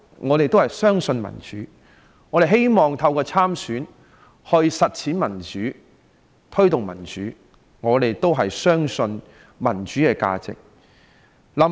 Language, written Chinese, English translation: Cantonese, 我們相信民主，希望透過參選區議員/立法會議員實踐並推動民主，因為我們相信民主的價值。, We believe in democracy and hope to realize and promote democracy through running in District CouncilLegislative Council elections because we believe in the very value of democracy